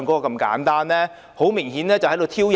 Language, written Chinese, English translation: Cantonese, 他們很明顯是在挑釁。, They were obviously being provocative